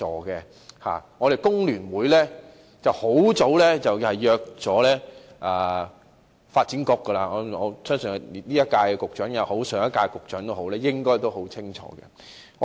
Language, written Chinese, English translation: Cantonese, 工聯會很早便約見發展局，相信無論是今屆或上屆政府的局長都應該很清楚。, FTU met with the Development Bureau a long time ago . I think the Secretaries for Development serving in the last and current terms of the Government are well aware about that